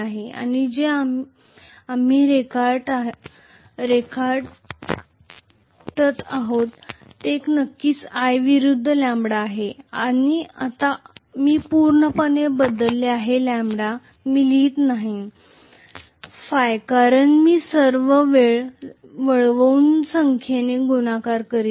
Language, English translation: Marathi, And what we are drawing is of course i versus lambda, now I have completely switched to lambda I am not writing phi because I am multiplying that by number of turns all the time, right